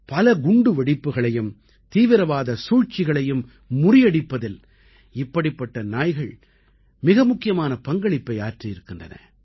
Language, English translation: Tamil, Such canines have played a very important role in thwarting numerous bomb blasts and terrorist conspiracies